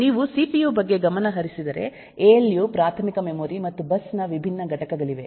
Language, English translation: Kannada, if you look into the cpu, there are different components of alu, primary memory and bus and all that